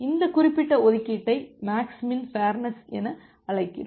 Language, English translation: Tamil, This particular allocation, we call it as a max min fair allocation